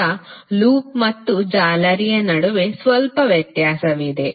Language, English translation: Kannada, Now, there is a little difference between loop and mesh